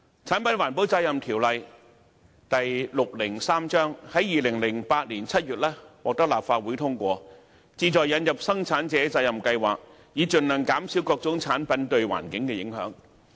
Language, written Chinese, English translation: Cantonese, 《產品環保責任條例》於2008年7月獲得立法會通過，旨在引入生產者責任計劃，以盡量減少各種產品對環境的影響。, The Product Eco - responsibility Ordinance Cap . 603 PERO was passed at the Council Meeting of July 2008 aiming to introduce mandatory PRSs so as to minimize the environmental impact of various types of products